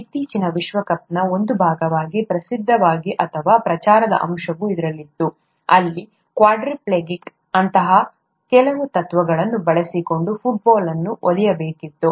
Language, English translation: Kannada, There was a, a well known, or there was a publicity aspect that was also a part of the recent world cup, where a quadriplegic was supposed to kick the football using some such principles